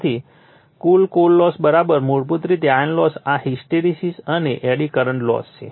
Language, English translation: Gujarati, So, total core losses = basically iron loss is this is the hysteresis and eddy current losses